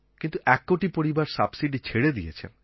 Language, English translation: Bengali, Here, these one crore families have given up their subsidy